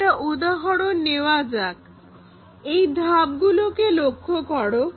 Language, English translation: Bengali, Let us take an example, look at these steps